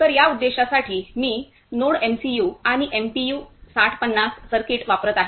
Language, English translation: Marathi, So, for this purpose I am using the NodeMCU and node MPU 6050 circuit